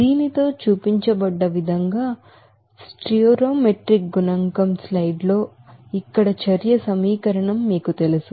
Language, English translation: Telugu, With this you know that stoichiometric coefficient as shown, you know the reaction equation here in the slide